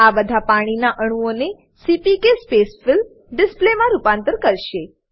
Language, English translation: Gujarati, This will convert all the water molecules to CPK Spacefill display